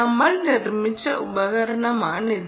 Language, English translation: Malayalam, this is the device that we have built